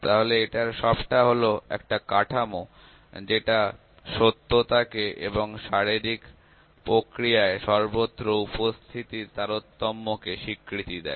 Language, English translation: Bengali, So, this is all a framework which recognizes the reality and omni presence of variation in physical processes